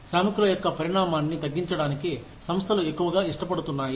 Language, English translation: Telugu, organizations are increasingly willing, to reduce the size of the workforce